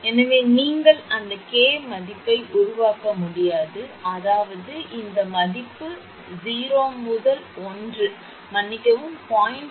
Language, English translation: Tamil, So, you cannot make it that k value; that means, this value 0 to 1 sorry less than 0